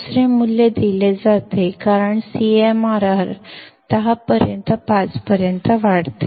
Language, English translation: Marathi, Second value is given as CMRR equals to 10 raised to 5